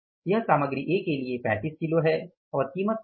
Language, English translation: Hindi, This is going to be for the material A 35 kgs and the what is the price